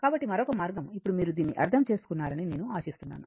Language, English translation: Telugu, So, another way, now this is I hope you have understood this